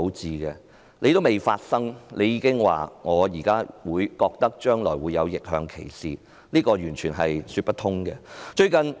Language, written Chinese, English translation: Cantonese, 這事尚未發生，她卻說將來會發生逆向歧視，這是完全說不通的。, It is totally untenable as there is yet to be any reverse discrimination and she is saying that this is going to happen